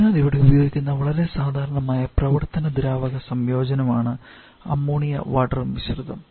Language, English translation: Malayalam, So Ammonia water mixture is a very common kind of working free combination that we use here